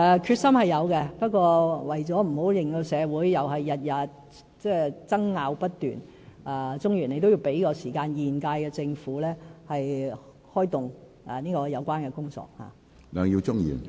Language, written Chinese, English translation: Cantonese, 決心是有的，不過，為了不要令到社會每天爭拗不斷，鍾議員要給予時間，讓現屆政府開動有關的工作。, We are very determined but in order to prevent incessant disputes I hope Mr CHUNG can allow some more time for the current Government to launch the relevant tasks